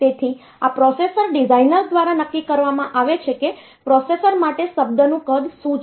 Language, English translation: Gujarati, So, this is fixed by the processor designer what is the word size for the processor